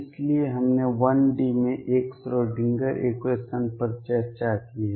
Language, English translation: Hindi, So, we have discussed one Schrödinger equation in 1D